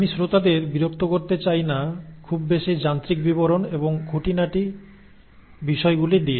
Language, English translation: Bengali, I do not want to bother the audience with too much of the mechanistic nitty gritty and mechanistic details